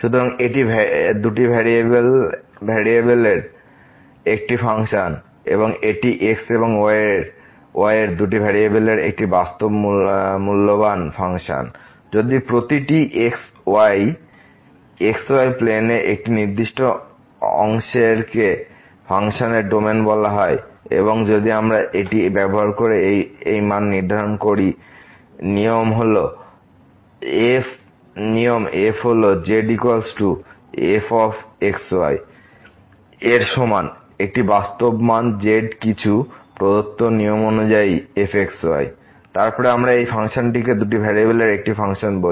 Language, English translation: Bengali, So, its a function of two variables and this is a real valued function of two variables and if to each of a certain part of x y plane which is called the domain of the function and if we assign this value using this rule is equal to is equal to to a real value according to some given rule ; then, we call this function as a Function of Two Variables